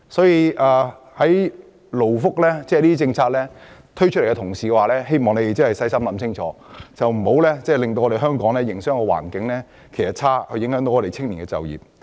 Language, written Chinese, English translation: Cantonese, 因此，政府推出勞工福利政策時，必須細心研究，以免令香港營商環境變差，影響青年人就業。, Therefore the Government must carefully assess the impacts of its new labour welfare policies to avoid worsening Hong Kongs business environment and depriving young people of job opportunities